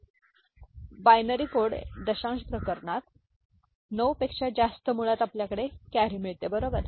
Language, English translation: Marathi, So, that is the you know, in the binary coded decimal cases more than 9 basically we are getting carry, right